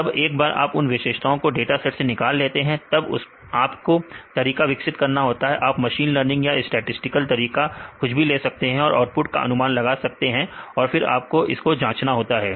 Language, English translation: Hindi, Once you have the features in data sets and then develop a method; you can put in the machine learning or statistical methods so that you can predict the output, then you need to access